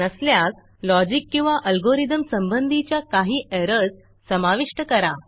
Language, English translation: Marathi, If not, introduce some errors with the logic or algorithm